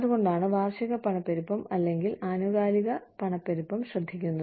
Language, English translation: Malayalam, So that is what, takes care of the annual inflation, or periodic inflation, in